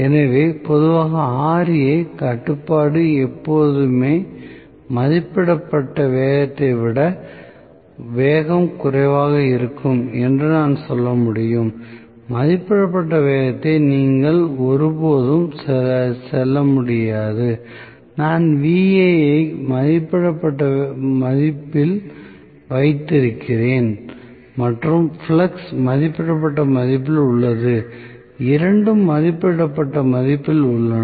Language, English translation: Tamil, So, in general I can say Ra control will always result is speed less than rated speed, you can never go above the rated speed provided I am keeping Va at rated value and flux is also at rated value, both are at rated value